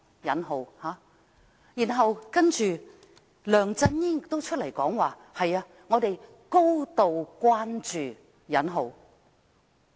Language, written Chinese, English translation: Cantonese, 然後，梁振英亦出來表示"高度關注"。, And then LEUNG Chun - ying followed suit saying that attention of the highest degree would be paid